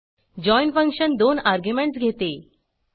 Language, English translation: Marathi, join function takes 2 arguments